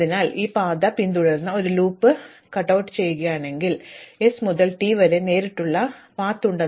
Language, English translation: Malayalam, So, therefore, if I take this path and I just cutout this loop, then I have a direct path from s to t